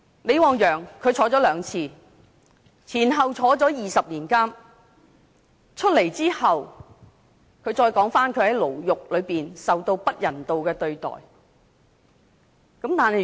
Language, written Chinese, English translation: Cantonese, 李旺陽曾兩次坐牢，前後坐牢20年，出獄後他談到他在獄中受到不人道的對待。, LI Wangyang was imprisoned on two occasions for a total of 20 years . After he was released he told others that he was inhumanely treated in prison